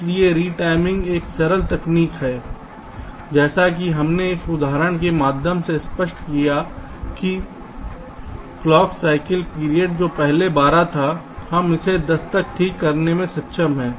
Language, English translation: Hindi, so v timing is a simple technique, as we have illustrated through this example, where the clock cycle time, which was earlier twelve, we have been able to bring it down to ten